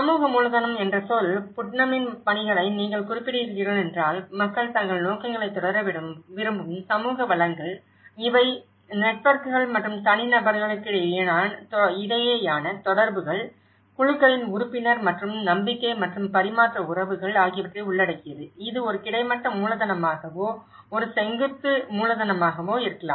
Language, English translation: Tamil, The term social capital; if you refer to Putnam's work on, it says the social resources which people draw upon to pursue their objectives, these comprise networks and connections between individuals, membership of groups and relationships of trust and exchange, it could be a horizontal capital, it could be a vertical capital, it could be a network within a group, it could be across groups